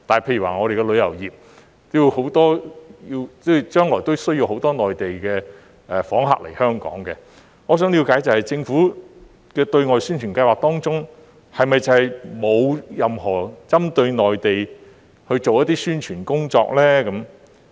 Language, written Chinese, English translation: Cantonese, 例如我們的旅遊業將來需要很多內地訪客來香港，我想了解的是，政府的對外宣傳計劃當中，是否沒有任何針對內地去做宣傳工作？, Our tourism industry will need a lot of Mainland visitors coming to Hong Kong in the future . I wish to know whether none of the Governments publicity programmes targets the Mainland?